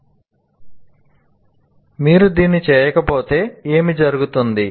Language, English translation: Telugu, Now if you don't do this, what happens